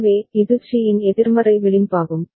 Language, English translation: Tamil, So, this is the negative edge of C